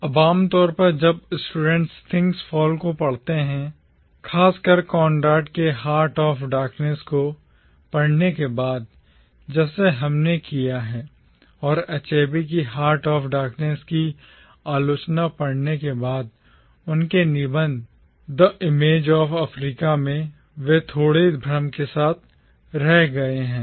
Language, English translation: Hindi, Now usually when students read Things Fall Apart, especially after reading Conrad’s Heart of Darkness, like we have done and after reading Achebe’s criticism of Heart of Darkness, in his essay “The Image of Africa”, they are left with a slight confusion